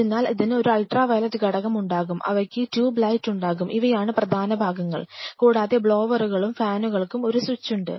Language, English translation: Malayalam, So, this will have a UV fixture they will have tube light these are the major fixtures and they have a switch for the blowers or the fans